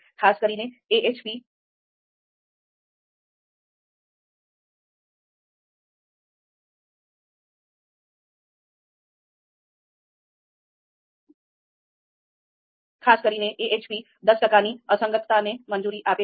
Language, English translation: Gujarati, AHP specifically allows up to a ten percent inconsistency